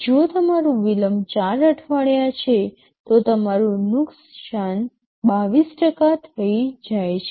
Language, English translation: Gujarati, If your delay is 4 weeks, your loss becomes 22%